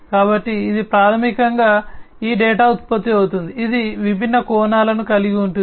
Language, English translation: Telugu, So, it is basically this data that is generated, it is it has different facets